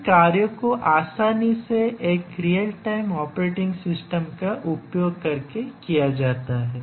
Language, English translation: Hindi, So, these are easily done using a real time operating system